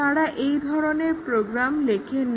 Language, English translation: Bengali, They do not write programs like this